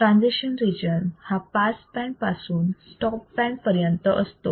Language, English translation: Marathi, Transition region is from pass band to stop band transition region